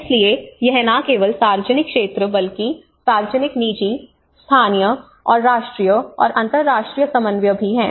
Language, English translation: Hindi, So it is both not only the public sector but also the public private, local and national and international coordination